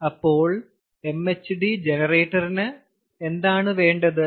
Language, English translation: Malayalam, so this is how an mhd generator works